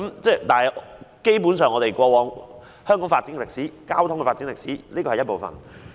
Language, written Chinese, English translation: Cantonese, 這基本上是香港交通發展歷史的一部分。, Basically this is part of the history of transport development in Hong Kong